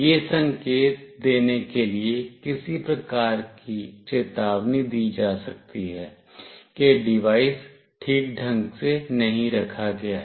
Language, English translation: Hindi, Some kind of alert may be given to indicate that the device is not properly placed